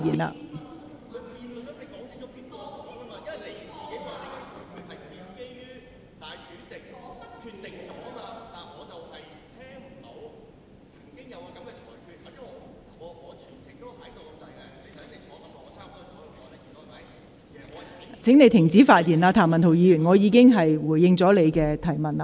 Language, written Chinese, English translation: Cantonese, 譚文豪議員，請你停止發言，我已回應你的提問。, Mr Jeremy TAM please stop speaking . I have responded to your query